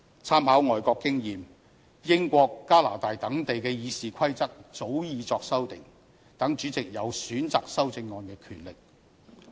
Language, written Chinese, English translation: Cantonese, 參考外國經驗，英國和加拿大等地的《議事規則》早已作出修訂，讓主席有選擇修正案的權力。, With reference to overseas experiences such as those of the United Kingdom and Canada their Rules of Procedure were amended long ago to give their President the power to select amendments